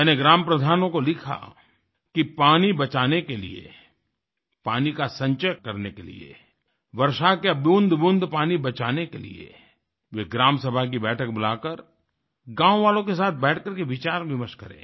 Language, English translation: Hindi, That in order to save water, to collect water, to save the very drops of the rainwater, they should convene a meeting of the Gram Sabha and sit and discuss the resolution to this problem with the villagers